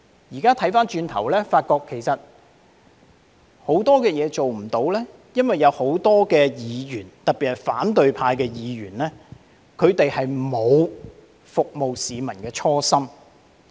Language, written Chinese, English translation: Cantonese, 現在回望過去，發覺其實很多事情做不到，是因為有很多議員，特別是反對派議員沒有服務市民的初心。, In retrospect I found that we were unable to do a lot of things because many Members especially the opposition Members did not work with the intention of serving the public